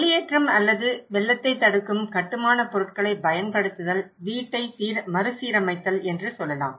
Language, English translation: Tamil, Let’s say evacuations or using flood resistant building materials, retrofitting the house